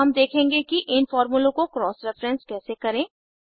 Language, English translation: Hindi, Let us now see how we can cross reference these formulae